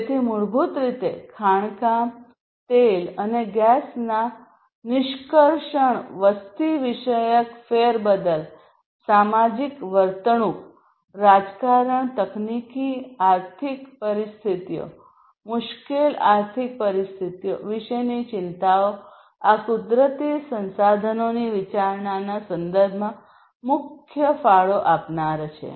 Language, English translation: Gujarati, So, basically concerns about too much of mining too much of extraction of oil and gas, demographic shifts, societal behavior, politics, technology, economic situations, difficult economic situations all of these are major contributors in terms of the consideration of natural resources